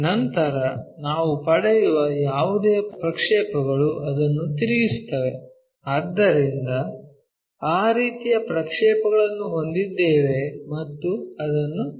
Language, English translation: Kannada, Then, whatever the projections we get like rotate that, so we will have that line projections and so on we will construct it